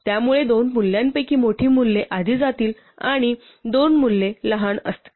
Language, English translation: Marathi, So it will make sure that the bigger of the two values goes first and the smaller of the two values go